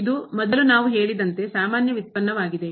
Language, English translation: Kannada, This is defined as we said before it is the usual derivative